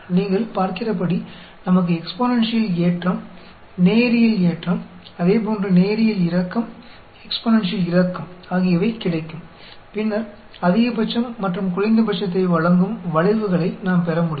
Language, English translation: Tamil, As you can see, we can get exponentially rising, linearly rising, similarly linearly dropping, exponentially dropping, and then, curves which gives you a maximum and minima